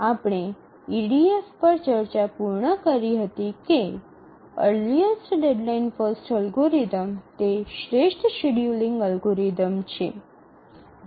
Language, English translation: Gujarati, Now we have concluded our discussion on EDF, the earliest deadline first algorithm, that is the optimal scheduling algorithm